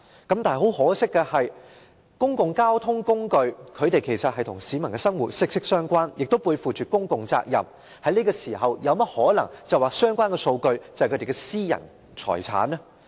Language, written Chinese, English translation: Cantonese, 然而，公共交通工具其實與市民的生活息息相關，這些機構背負着公共責任，怎可能在這時候說相關數據是他們的私人財產呢？, However public transport is closely related to the peoples everyday life . These organizations bear a public responsibility . How can it possibly say at this point that the relevant data is their private asset?